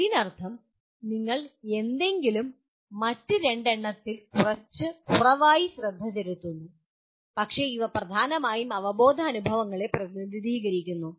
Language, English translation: Malayalam, That means you somehow pay less and less attention to the other two but you are; these represent kind of a dominantly cognitive experiences